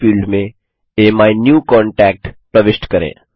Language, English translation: Hindi, In the Search field, enter AMyNewContact